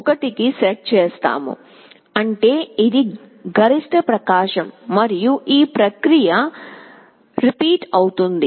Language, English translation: Telugu, 0, which means maximum brightness and this process repeats